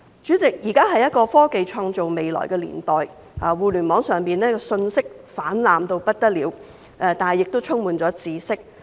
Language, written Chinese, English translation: Cantonese, 主席，現今是一個科技創造未來的年代，互聯網上的信息泛濫嚴重，但亦充滿了知識。, President the present era is one in which technology is shaping the future . The Internet is flooded with information but it is also full of knowledge